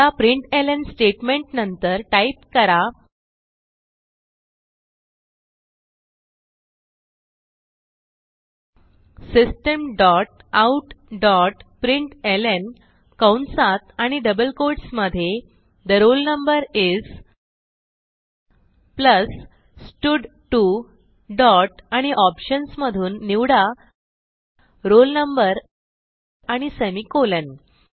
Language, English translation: Marathi, Now after the println statements, type System dot out dot println within brackets and double quotes The roll number is, plus stud2 dot select roll no and semicolon